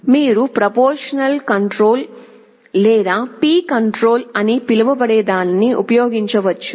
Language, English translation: Telugu, We can use something called a proportional controller or P controller